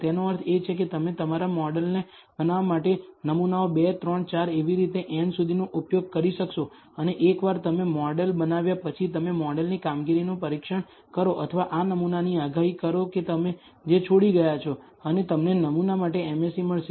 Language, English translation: Gujarati, That means, you will use samples 2, 3, 4 up to n to build your model and once you have built the model you test the performance of the model or predict for this sample that you have left out and you will get an MSE for the sample